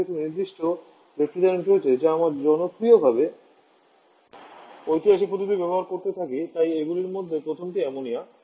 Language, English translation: Bengali, But there are certain refrigerant that we are popular keep on using historically so ammonia is a first one of them